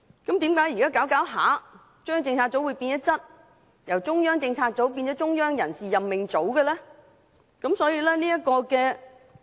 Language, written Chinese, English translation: Cantonese, 那麼，為何現在中央政策組會漸漸變質，由中央政策組變成"中央人士任命組"呢？, In that case now why has CPU gradually changed its nature and become a Central Appointment Unit?